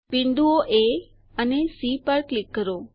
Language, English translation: Gujarati, Click on the points A,E,C C,E,D